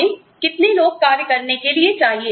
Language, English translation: Hindi, How many people, do we need